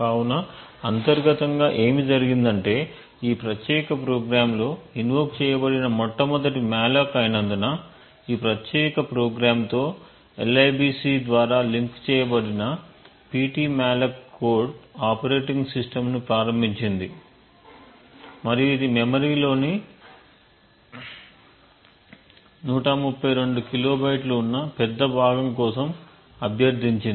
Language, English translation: Telugu, So what has happened internally is that rather since this was the first malloc that is invoked in this particular program the ptmalloc code which has got linked with this particular program through libc has invoked the operating system and it has requested for a large chunk of memory of 132 kilobytes